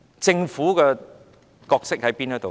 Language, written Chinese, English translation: Cantonese, 政府的角色是甚麼呢？, What is the role of the Government?